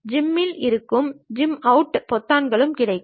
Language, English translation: Tamil, There will be zoom in, zoom out buttons also will be there